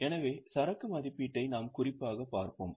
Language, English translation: Tamil, So, we will specifically look at inventory valuation